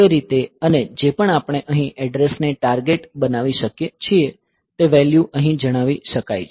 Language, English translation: Gujarati, So, that way and whatever we may target address here that value can be stated here